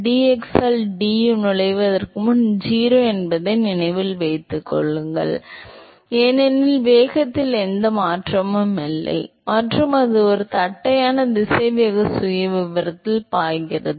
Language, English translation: Tamil, Remember that before it enters the du by dx is 0 because there is no change in the velocity and it flows at a flat velocity profile